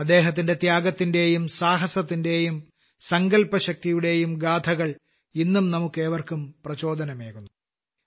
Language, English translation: Malayalam, The stories related to his sacrifice, courage and resolve inspire us all even today